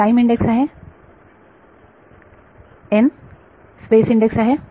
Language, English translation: Marathi, E time index is n space index is